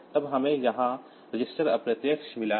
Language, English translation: Hindi, Then we have got registered indirect here